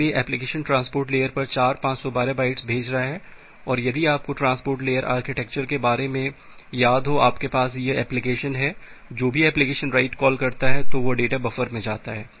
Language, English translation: Hindi, So, the application is sending four 512 bytes of blocks to the transport layer, and if you remember that the transport layer architecture, you have this application whenever the application is making a write call, that data is going to a buffer